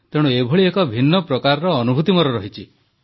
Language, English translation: Odia, So I had a different sort of experience in this manner